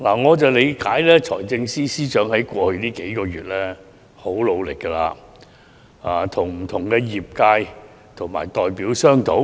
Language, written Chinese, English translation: Cantonese, 我了解到，財政司司長在過去數月已很努力與不同的業界和代表商討。, As far as I know the Financial Secretary has been working very hard over the past several months to negotiate with various sectors and their representatives